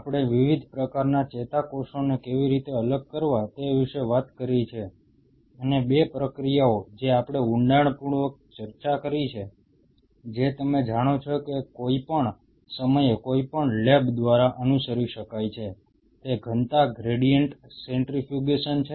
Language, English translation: Gujarati, We have talked about how to separate different kind of neurons and 2 process processes what we have discussed in depth, which are kind of you know can be followed by any lab at any point of time is a density gradient centrifugation